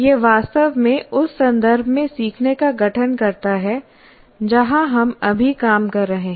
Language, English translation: Hindi, That's what really constitutes learning in the context where we are right now operating